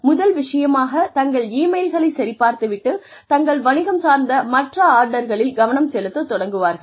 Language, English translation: Tamil, Immediately, check their emails first thing, and then move on to more orders of business